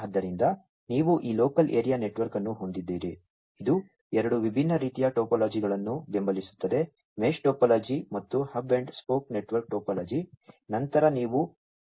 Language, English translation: Kannada, So, you have this local area network, which supports two different types of topologies, the mesh topology and the hub and spoke network topology